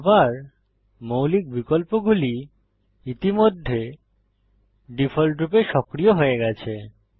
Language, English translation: Bengali, Again the basic options already activated by default